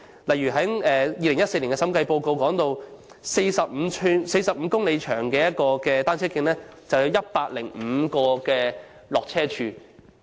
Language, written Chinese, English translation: Cantonese, 一如2014年的審計報告指出，一段45公里長的單車徑，便有105個下車處。, According to the Report of the Director of Audit published in 2014 along a cycle track of 45 km in length there were 105 points requiring cyclists to dismount